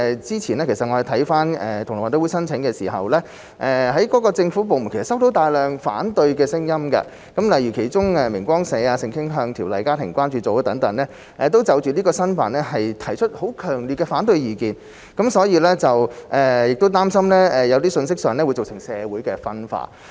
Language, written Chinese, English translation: Cantonese, 之前同樂運動會申請舉辦時，政府部門收到大量反對聲音，例如明光社、性傾向條例家校關注組等，就這次申辦提出強烈的反對意見，擔心有些信息會造成社會分化。, When the application for GG2022 was filed government departments have received a large number of oppositions from for instance The Society for Truth and Light and the Family School Sexual Orientation Discrimination Ordinance Concern Group . They strongly opposed the application worrying that some messages would cause social division